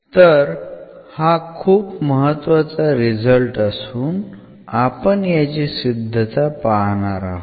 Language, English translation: Marathi, So, since this is a very important result we will also go through the proof of it